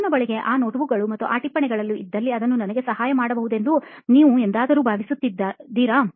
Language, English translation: Kannada, And did you ever feel the need to, if I had those notebooks and that notes right now, it would have helped me out